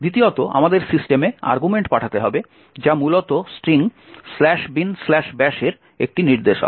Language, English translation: Bengali, Secondly, we need to pass the argument to system which essentially is a pointer to the string slash bin slash bash